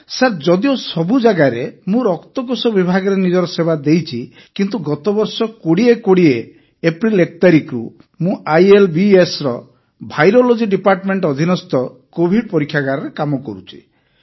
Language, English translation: Odia, Sir, although in all of these medical institutions I served in the blood bank department, but since 1st April, 2020 last year, I have been working in the Covid testing lab under the Virology department of ILBS